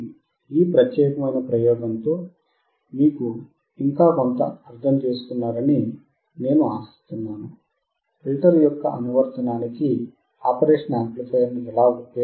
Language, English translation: Telugu, So, with this particular experiment, I hope that you understood something further regarding how to apply the operational amplifier for the application of a filter